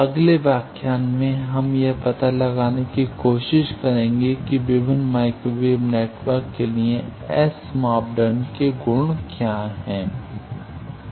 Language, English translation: Hindi, In the next lecture, we will try to find out how what are the properties of the scattering parameters for various microwave networks